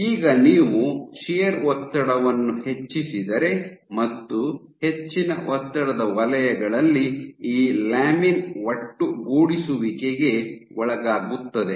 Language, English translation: Kannada, Now, if you increase the shear stress at high stress zones, this actually the cells this lamin undergo aggregation